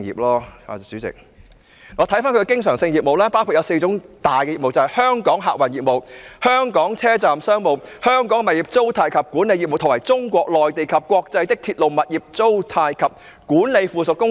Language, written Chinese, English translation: Cantonese, 我們看看它的經常性業務包括四大業務，就是香港客運業務、香港車站商務、香港物業租賃及管理業務，以及中國內地及國際的鐵路、物業租賃及管理附屬公司。, As we all see its recurrent businesses which cover four main areas viz . Hong Kong transport operations Hong Kong station commercial businesses Hong Kong property rental and management businesses and Mainland of China and international railway property rental and management subsidiaries